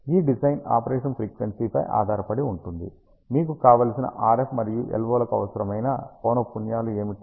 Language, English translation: Telugu, This design will depend on the frequency of operation what are the desired frequencies of RF and LO you require